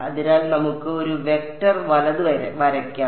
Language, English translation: Malayalam, So, let us draw a vector right